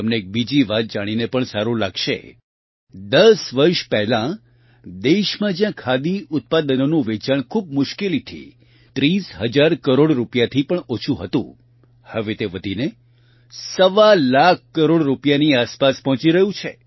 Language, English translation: Gujarati, You will be pleased to know of another fact that earlier in the country, whereas the sale of Khadi products could barely touch thirty thousand crore rupees; now this is rising to reach almost 1